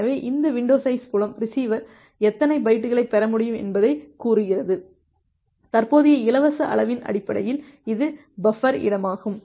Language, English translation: Tamil, So, this window size field it tells that how many bytes the receiver can receive, based on the current free size at it is buffer space